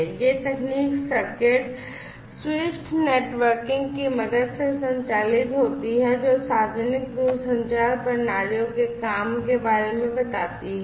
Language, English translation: Hindi, So, this basically technology operates, with the help of something known as the circuit switched networking, which is how the telling the public telecommunication systems work